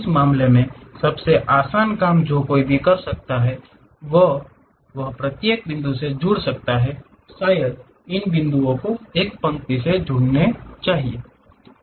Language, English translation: Hindi, In that case the easiest thing what one can do is join each and every point, perhaps pick these points join it by a line